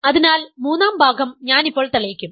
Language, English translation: Malayalam, So, the third part, which I will prove now